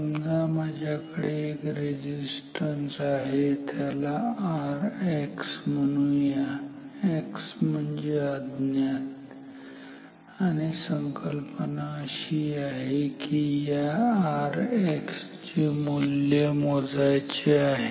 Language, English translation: Marathi, Suppose I have a resistance and let us call it R X, X once again stands for unknown and the idea is to measure the value of R X